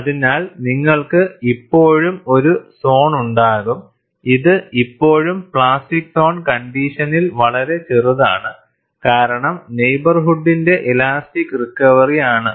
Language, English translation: Malayalam, So, you will have a zone, where this is still under plastic zone condition; much smaller in size, because of the elastic recovery of the neighborhood